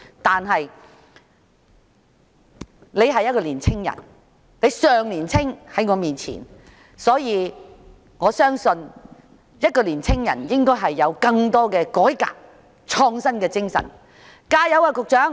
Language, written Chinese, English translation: Cantonese, 可是，他是一位年青人，與我相比，他尚算年青，我相信年青人應該有更大的改革和創新精神，局長請加油。, Compared with me he is still young . I believe young people should have a greater spirit of reform and innovation . Secretary keep it up!